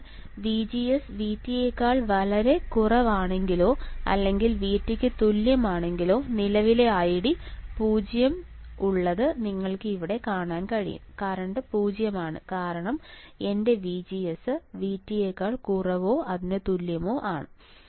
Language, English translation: Malayalam, So, when VGS is extremely less than V T, or less than equal to VT we have current ID equals to 0 you can see here the current is 0 right because my VGS is equals to threshold voltage or is less than threshold voltage ok